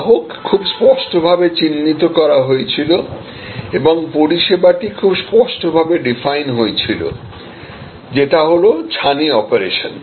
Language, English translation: Bengali, So, customer was very clearly defined and the service was very clearly defined, cataract operation